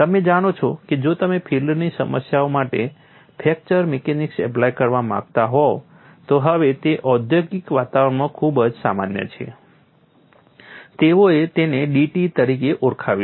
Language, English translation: Gujarati, You know if you want to apply fracture mechanics for field problems, now it is very common in industrial environment, they called this as d t